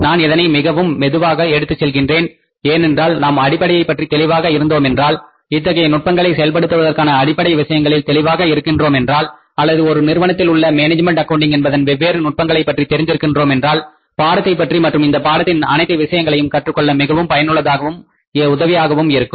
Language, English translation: Tamil, I am taking it at a slow pace because if we are clear about the fundamentals, if we are clear about the, say, the basic requirements of implementing this technique or the different techniques of management accounting in the organization, then it will be more useful and helpful for us to learn about the, say, whole thing about the subject, each and everything about the subject